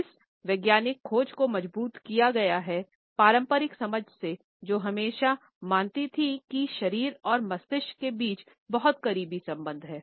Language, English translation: Hindi, This scientific research has strengthened, the conventional understanding which always believed that there is a very close association between the body and the brain